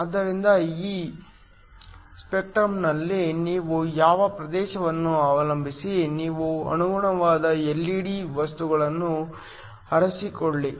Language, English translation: Kannada, So, depending upon which region in this spectrum you want, you choose the corresponding LED material